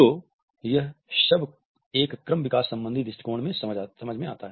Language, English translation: Hindi, So, this all makes sense from an evolutionary perspective